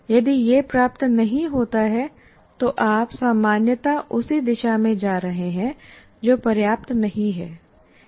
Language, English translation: Hindi, If it is not attained, you are only generally going in that direction that is not sufficient